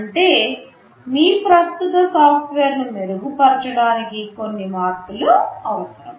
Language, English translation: Telugu, That means, you need some modifications to your existing software to make it better in some sense